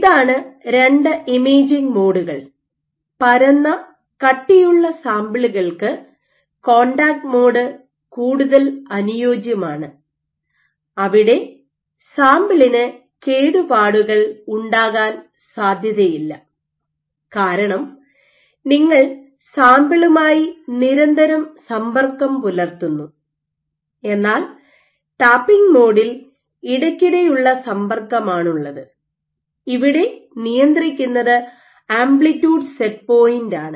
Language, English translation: Malayalam, So, these are two imaging modes; contact mode being more suitable for flat rigid samples where there is no chance of damage to the sample because you are in perpetual contact with the sample and you have the tapping mode in which your intermittent contact and what you control is the amplitude set point